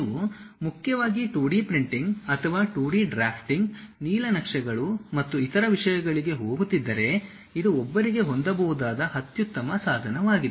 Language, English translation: Kannada, If you are mainly going for 2D printing or 2D drafting, blueprints and other things this is the best tool what one can have